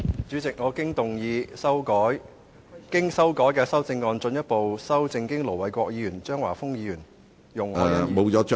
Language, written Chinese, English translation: Cantonese, 主席，我動議我經修改的修正案，進一步修正經盧偉國議員、張華峰議員、容海恩議員......, President I move that Mr Jeffrey LAMs motion as amended by Ir Dr LO Wai - kwok Mr Christopher CHEUNG Ms YUNG Hoi - yan